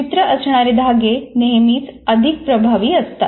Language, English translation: Marathi, Visual cues are always more effective